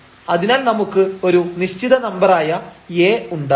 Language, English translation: Malayalam, So, we do not have such a A a finite number A